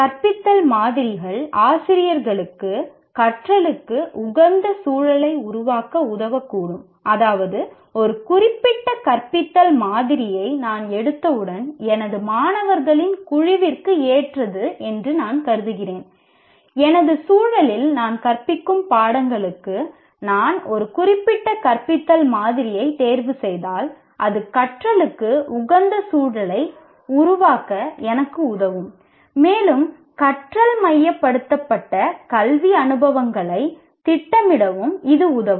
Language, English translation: Tamil, That means, once I pick up a particular model of teaching, which I think is suitable for my group of students, for the kind of subjects that I am teaching, in my context, one, if I choose a particular model of teaching, then it will help me to create conducive environment for learning and it will also help me to plan learning centered educational experiences